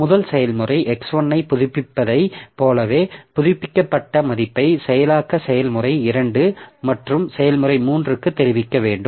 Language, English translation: Tamil, Like the first process is updating x1 and that updated value must be communicated to process 2 and process 2 and process 2 must communicate to process 1 and process 3 the value of x2 so like that